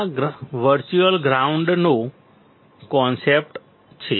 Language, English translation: Gujarati, This is the concept of virtual ground